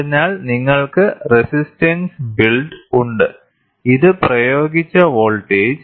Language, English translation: Malayalam, So, you have resistance build and this is the applied voltage